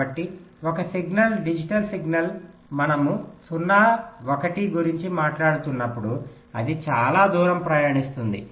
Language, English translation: Telugu, so whenever a signal, a digital signal we are talking about zero one it traverses over long distance